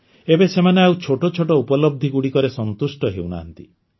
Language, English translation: Odia, Now they are not going to be satisfied with small achievements